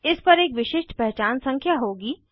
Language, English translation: Hindi, This will contain the Unique Identification number